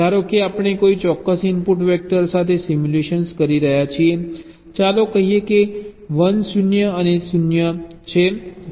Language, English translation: Gujarati, suppose we are carrying out simulation with a particular input vector, lets say one, zero and zero